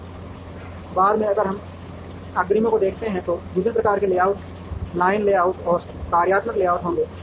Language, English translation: Hindi, Much later if we see the advances, the different types of layouts are would be the line layout, and the functional layout